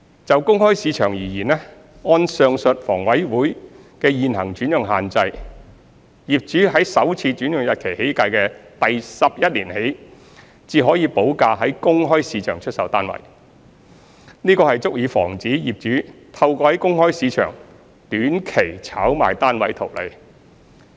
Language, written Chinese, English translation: Cantonese, 就公開市場而言，按上述房委會的現行轉讓限制，業主在首次轉讓日期起計的第十一年起，才可補價在公開市場出售單位，這足以防止業主透過在公開市場短期炒賣單位圖利。, For the open market according to the prevailing alienation restrictions as mentioned above owners can only resell their flats in the open market upon payment of premium from the eleventh year onward since first assignment which is sufficient to prevent owners from making monetary gains through short - term speculative activities in the open market